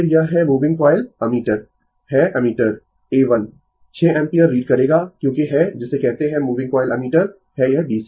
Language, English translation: Hindi, Then, it is moving coil ammeter the ammeter A 1 will read 6 ampere because ah you are you are what you call moving coil ammeter is this DC right